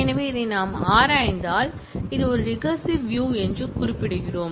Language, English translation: Tamil, So, if we look into this, we are specifying that is a recursive view